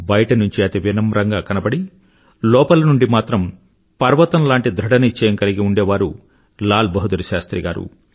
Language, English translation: Telugu, LalBahadurShastriji had a unique quality in that, he was very humble outwardly but he was rock solid from inside